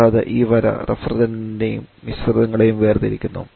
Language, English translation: Malayalam, And also this line separates the refrigerant and the mixtures